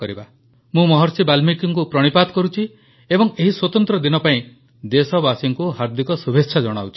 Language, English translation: Odia, I pay my obeisance to Maharishi Valmiki and extend my heartiest greetings to the countrymen on this special occasion